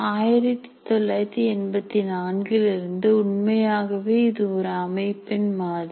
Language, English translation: Tamil, So from 1984, it is a truly system model